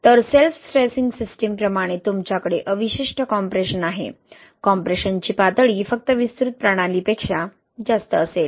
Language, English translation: Marathi, So what I mean, like in self stressing system, in earlier slides, you have the residual compression, the level of compression will be higher than just expansive system